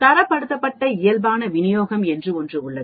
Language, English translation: Tamil, There is something called Standardized Normal Distribution